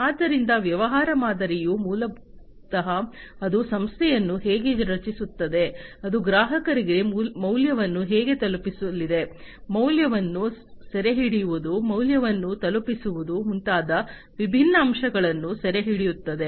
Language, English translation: Kannada, So, a business model basically you know it captures the different aspects such as the rationale behind how the organization is created, how it is going to deliver value to the customers, capturing the value, delivering the value, and so on